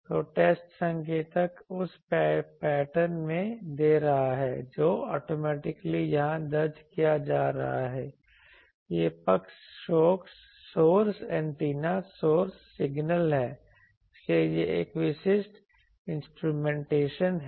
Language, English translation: Hindi, So, test indicator is giving in the pattern is getting recorded here automatically this side is source antenna source signal etc, so this is a typical instrumentation